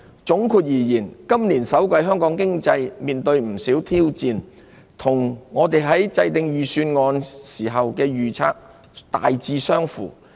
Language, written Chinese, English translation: Cantonese, 總括而言，今年首季香港經濟面對不少挑戰，與我們在制訂預算案時的預測大致相符。, All in all it was challenging for the Hong Kong economy in the first quarter which was largely consistent with our projection made in the course of formulation of the Budget